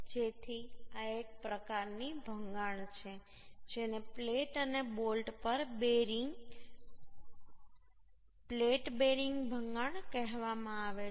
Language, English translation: Gujarati, So this is one type of failure which is called bearing on plate, bearing failure, plate and bolt